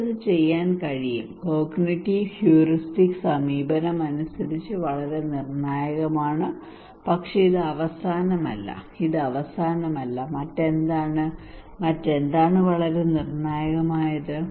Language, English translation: Malayalam, And I can do it, is very critical according to cognitive and heuristic approach but this is not the end, this is not the end yet what else, what else is very critical